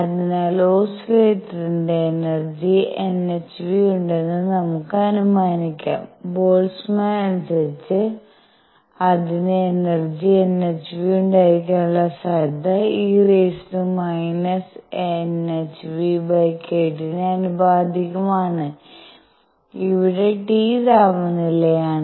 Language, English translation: Malayalam, So, that let us suppose that the oscillator has energy n h nu then according to Boltzmann, the probability that it has energy n h nu, is proportional to e raised to minus n h nu over k T where T is the temperature